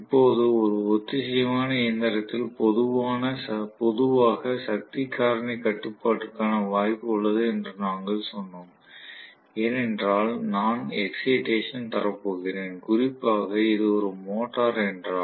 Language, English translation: Tamil, Now, we also said that there is a possibility of power factor control in general, in a synchronous machine because I am going to give excitation, especially if it is a motor